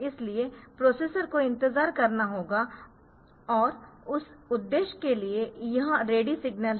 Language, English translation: Hindi, So, the processor has to wait and for that purpose this ready signal is there